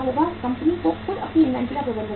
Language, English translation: Hindi, The company itself has to manage its own inventory